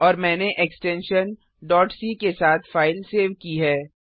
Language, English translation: Hindi, Now save the file with .cpp extension